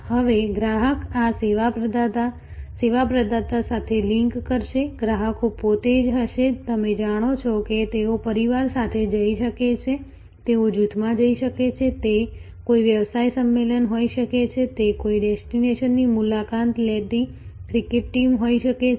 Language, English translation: Gujarati, Now, customer's will link to this service provider, the customers themselves will be, you know they may go with a family, they may go in a group, it can be a business convention, it can be a cricket team visiting a destination